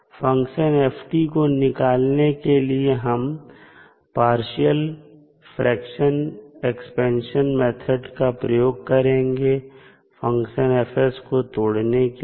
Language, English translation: Hindi, Now, to solve the, to find out the, the value of function F, we use partial fraction expansion method to break the function F s